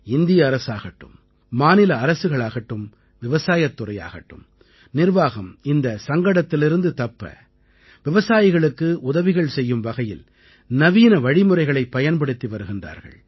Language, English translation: Tamil, Be it at the level of the Government of India, State Government, Agriculture Department or Administration, all are involved using modern techniques to not only help the farmers but also lessen the loss accruing due to this crisis